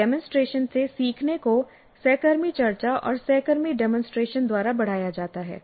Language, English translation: Hindi, And learning from demonstration is enhanced by peer discussion and peer demonstration